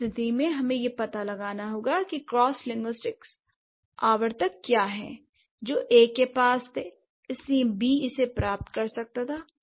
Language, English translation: Hindi, So, in that case we have to find out what are the cross linguistic recurrent that A had which is why B could get it